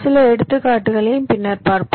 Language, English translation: Tamil, ok, we shall see some examples later also